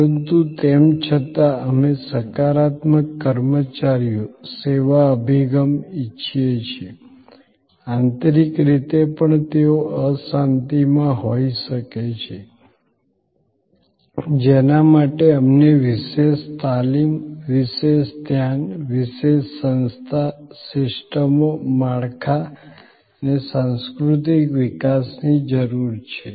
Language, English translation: Gujarati, But, yet we want a positive personnel service approach, even internally they may be in turmoil for which we need special trainings, special attentions, special organization, systems, structures and cultural developments